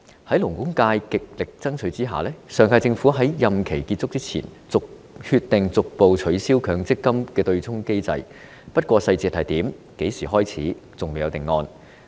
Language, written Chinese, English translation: Cantonese, 在勞工界極力爭取下，上屆政府在任期結束前終於決定逐步取消強積金對沖機制，不過當中細節和落實時間等則仍未有定案。, Thanks to the strong advocacy of the labour sector the last - term Government finally decided to abolish the MPF offsetting mechanism before the expiry of its term